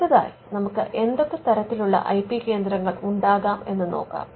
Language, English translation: Malayalam, Now, let us look at the type of IP centres you can have